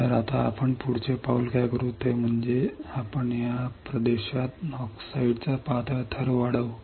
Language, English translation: Marathi, So, now what we will do next step is we will grow a thin layer of oxide in this region